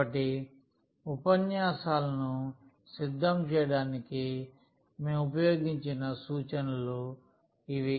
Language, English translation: Telugu, So, these are the references we have used for preparing the lectures and